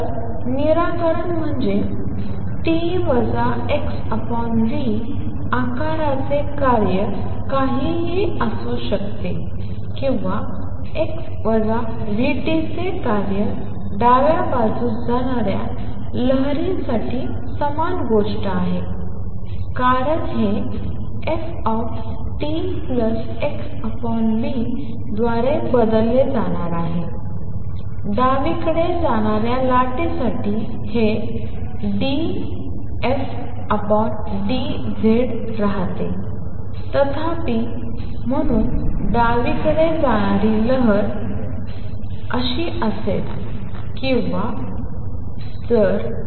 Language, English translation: Marathi, So, solution is the function of t minus x over v shape could be anything or a function of x minus v t is the same thing for the wave traveling to the left is going to be a plus sign because this is going to be replaced by f t plus x over v for wave travelling to the left this remains d f by d z this; however, becomes plus one over v partial f partial t and therefore, for the wave travelling to the left is going to be partial f by partial x is equal to plus 1 over v partial f by partial t or partial f partial x is minus one over v partial f partial t